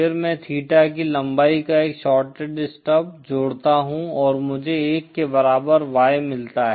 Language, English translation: Hindi, Then I add a shorted stub of length theta length and I get Y in equal to 1